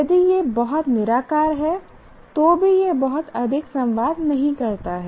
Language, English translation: Hindi, If it is too abstract, then also it doesn't communicate very much